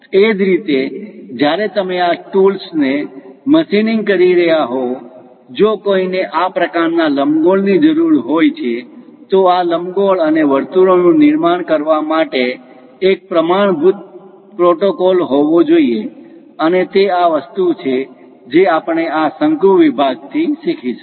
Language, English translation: Gujarati, Similarly, when you are machining these tools; if one requires this kind of ellipse is, there should be a standard protocol to construct these ellipse and circles, and that is the thing what we are going to learn for this conic sections